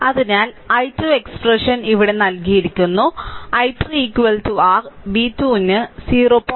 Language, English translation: Malayalam, So, i 2 expression is given here right and i 3 and i 3 is equal to your v 2 upon 0